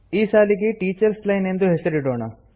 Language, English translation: Kannada, Let us name this line as Teachers line